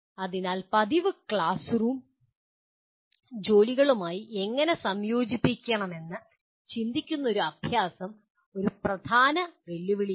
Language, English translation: Malayalam, So thoughtful practice how to integrate into the regular classroom work is a major challenge